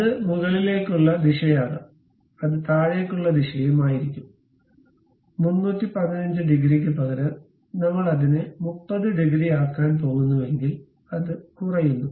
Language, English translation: Malayalam, It can be upward direction, it will be downward direction also; instead of 315 degrees, if I am going to make it 30 degrees, it goes down